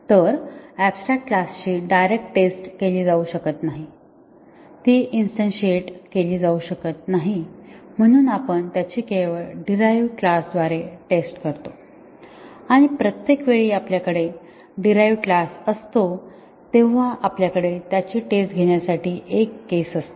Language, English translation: Marathi, So, we do not, since abstract class cannot be directly tested, it cannot be instantiated therefore, we test it only through its derived classes and each time we have a derived class we have a case for testing it